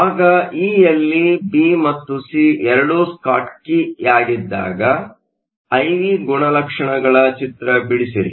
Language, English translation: Kannada, In part e, sketch the I V characteristics when both B and C are Schottky